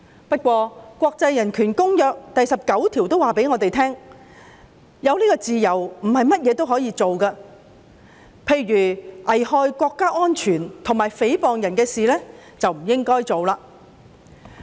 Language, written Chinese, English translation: Cantonese, 不過，一如國際人權公約第19條指出，自由並不代表所有事也可以做，例如一些危害國家安全及誹謗別人的事，便不應該做。, Yet as stated in Article 19 of the International Covenant on Human Rights this freedom is not unrestricted as actions threatening national security and defamatory in nature should not be done